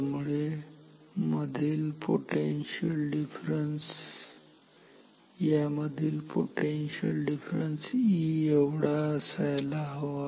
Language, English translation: Marathi, So, the potential difference between these two terminals is E